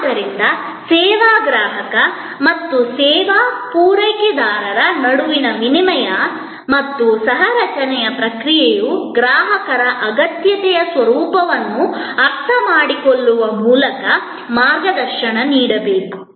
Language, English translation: Kannada, So, the process of exchange and co creation between the service consumer and the service provider must be guided by the understanding of the nature of customers need